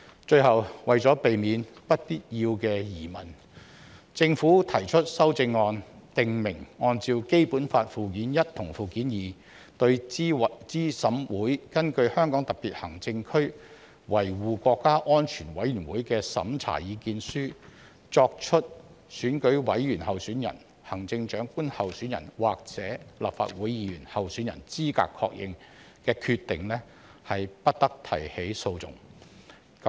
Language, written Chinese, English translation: Cantonese, 最後，為避免不必要的疑問，政府提出修正案，訂明按照《基本法》附件一及附件二，對資審會根據香港特別行政區維護國家安全委員會的審查意見書作出選舉委員候選人、行政長官候選人或立法會議員候選人資格確認的決定，不得提起訴訟。, Lastly to avoid unnecessary doubt the Government has proposed amendments to specify that according to Annexes I and II to the Basic Law no legal proceedings may be instituted in respect of a decision made by CERC on the eligibility of a candidate for membership of EC for the office of Chief Executive or for membership of the Legislative Council pursuant to the opinion of the Committee for Safeguarding National Security of the Hong Kong Special Administrative Region